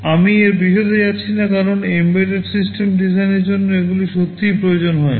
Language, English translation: Bengali, I am not going into detail of this because for an embedded system design, these are not really required